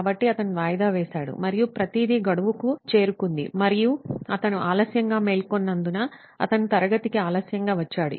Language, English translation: Telugu, So he procrastinated and everything piled to the deadline and that's why he came late to class because he woke up late